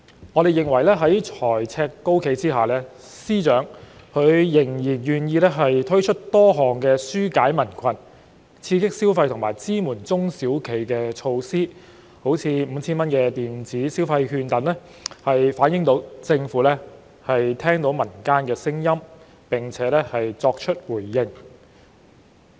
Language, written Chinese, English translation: Cantonese, 我們認為，在財政赤字高企下，司長仍然願意推出多項紓解民困、刺激消費和支援中小企的措施，例如 5,000 元電子消費券等，反映政府聽到民間聲音並作出回應。, We opine that given a high fiscal deficit FS is still willing to introduce a number of measures to ease peoples burden stimulate consumption and support small and medium enterprises such as issuing electronic consumption vouchers with a total value of 5,000 this reflects that the Government has heard peoples voices and responded to them